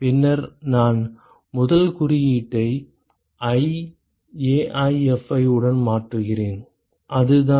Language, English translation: Tamil, And then I replace the first index with i AiFi so that is it